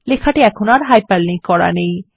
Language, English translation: Bengali, The the text is no longer hyperlinked